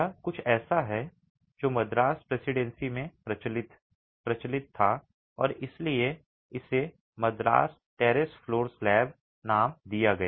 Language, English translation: Hindi, This is something that was predominant, prevalent in the Madras Presidency and that's why it gets the name the Madras Terrace Flow Slab